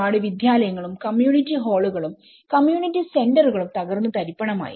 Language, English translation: Malayalam, So, many of these schools were damaged and many of the community halls, community centers have been damaged